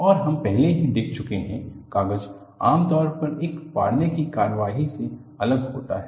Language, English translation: Hindi, And, we have already seen, paper is usually separated by a tearing action